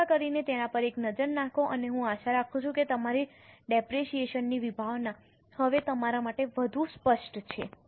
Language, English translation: Gujarati, Please have a look at it and I hope you are the concepts of depreciation are more clear to you now